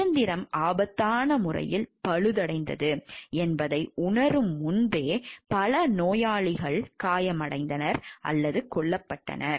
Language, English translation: Tamil, Several patients were injured or killed as a result, before it was realized that the machine was dangerously defective